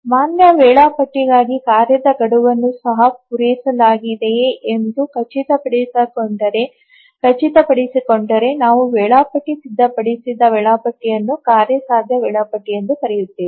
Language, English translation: Kannada, So, for a valid schedule, if the task deadlines are also ensued to be met then we call the schedule prepared by the scheduler as a feasible schedule